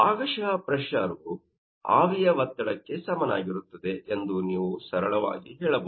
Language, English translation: Kannada, So, at this point, you can see that simply partial pressure will be equal to vapour pressure